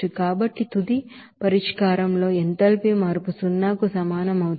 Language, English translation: Telugu, So since the final solution will have that enthalpy change will be equals to zero